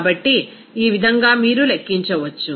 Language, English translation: Telugu, So, in this way, you can calculate